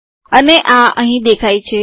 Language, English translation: Gujarati, And this has appeared here